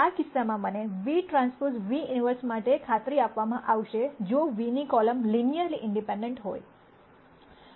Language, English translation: Gujarati, In this case I will be guaranteed to have an inverse for v transpose v if the columns of v are linearly independent